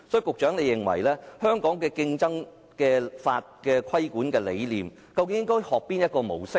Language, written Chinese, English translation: Cantonese, 局長，你認為香港競爭法的規管理念應該學習哪種模式呢？, Secretary in your opinion which regulatory model should Hong Kongs competition law follow?